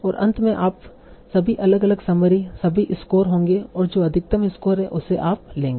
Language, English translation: Hindi, And finally you will have all different summaries, all the scores, take the one that is having the maximum score